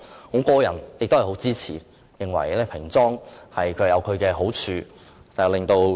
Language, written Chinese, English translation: Cantonese, 我個人對此深表支持，認為平裝亦有其好處。, Personally I greatly support plain packaging and consider that it has merits